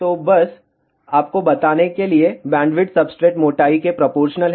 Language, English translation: Hindi, So, just to tell you bandwidth is proportional to the substrate thickness